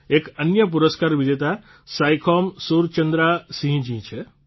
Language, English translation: Gujarati, There is another award winner Saikhom Surchandra Singh